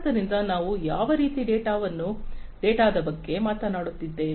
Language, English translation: Kannada, So, what kind of data we are talking about